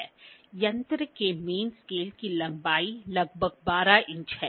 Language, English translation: Hindi, The length of the main scale of the instrument is about 12 inches